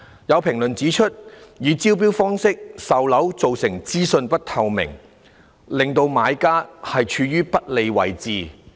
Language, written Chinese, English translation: Cantonese, 有評論指出，以招標方式售樓造成資訊不透明，令準買家處於不利位置。, There are comments that the sale of units by way of tender has resulted in a lack of information transparency thereby placing prospective purchasers in an unfavourable position